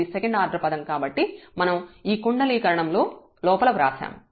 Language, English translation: Telugu, So, the second order term so that also we have written inside this these parentheses